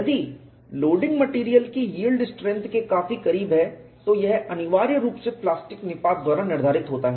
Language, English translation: Hindi, If the loading is very close to the yield strength of the material, it is essentially dictated by plastic collapse